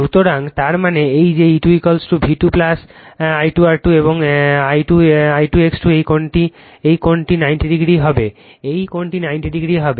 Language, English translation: Bengali, So, that means, that means, this one that is E 2 is equal to V 2 plus I 2 R 2 and this I 2 X 2 these angle this angle will be 90 degree, right this angle will be 90 degree